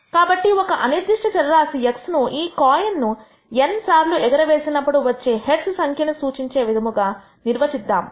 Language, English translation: Telugu, So, let us define a random variable x that represents the number of heads that we obtain in these n coin tosses